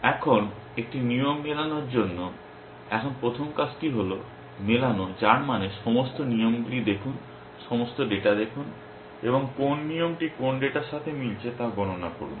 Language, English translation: Bengali, Now, for a rule to match, now the first task is to match which means look at all the rules, look at all the data and compute which rule matches with which data